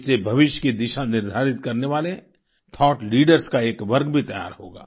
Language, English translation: Hindi, This will also prepare a category of thought leaders that will decide the course of the future